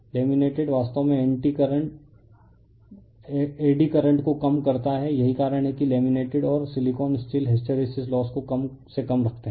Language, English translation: Hindi, The laminations reducing actually eddy current that is why laminated and the silicon steel keeping hysteresis loss to a minimum, right